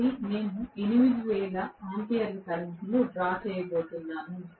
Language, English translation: Telugu, So, I am going to draw 8000 amperes of current